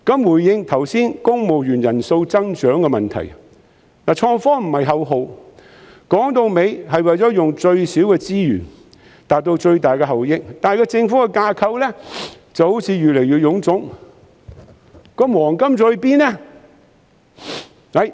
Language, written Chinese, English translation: Cantonese, 回應剛才談到公務員人數增長的問題，創科不是口號，說到底是為了用最少的資源達到最大的效益，但政府的架構好像越來越臃腫，"黃金時代"在哪裏？, I mentioned the growth in the number of civil servants earlier . IT should not be taken merely as a slogan but should be a tool for achieving the greatest effectiveness with the least resources . But when the government structure seems to be getting more and more bloated where can we find the golden era?